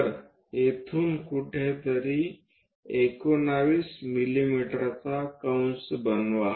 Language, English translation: Marathi, So, make an arc of 19 mm somewhere here